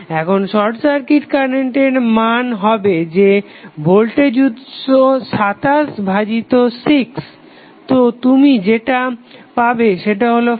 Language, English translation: Bengali, Here the short circuit current value would be that is the voltage source 27 divided by 6 so what you got is 4